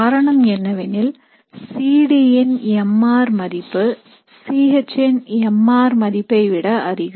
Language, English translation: Tamil, And this is because mr for C D is greater than mr for C H